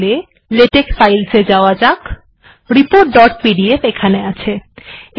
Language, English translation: Bengali, Lets go to latex file, so report dot pdf is there